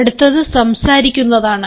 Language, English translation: Malayalam, then comes a speaking